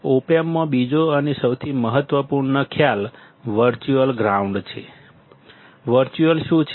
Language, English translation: Gujarati, Second and the most important concept in op amp is the virtual ground; what is virtual